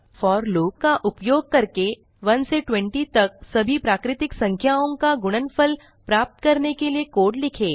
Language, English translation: Hindi, Write a code using for loop to print the product of all natural numbers from 1 to 20